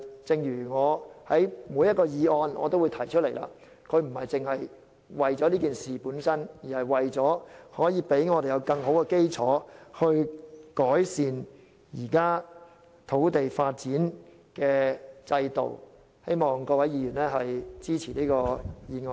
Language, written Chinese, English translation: Cantonese, 正如我在每一項議案都指出，議案不單只為事件本身，而是為了讓我們有更好的基礎去改善現行的土地發展制度，希望各位議員支持這項議案。, As I have pointed out in each motion debate the motion actually goes beyond the incident itself . It also serves to provide a better basis for improvement of the existing land development system . I hope Members will support this motion